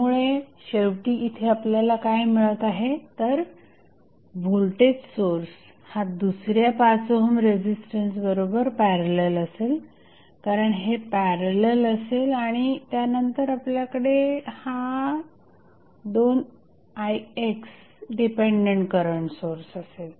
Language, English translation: Marathi, So, finally, what you are getting here is nothing but the voltage source in parallel with another 5 ohm resistance because this will be in parallel and then you will have dependent current source of 2Ix